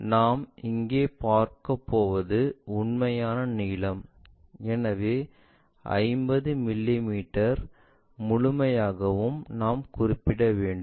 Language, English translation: Tamil, And the length, what we are going to see is the true length we are going to see, so that entire longer one 50 mm we have to locate it